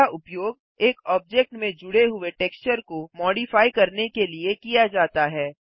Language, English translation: Hindi, This is used to modify the texture added to an object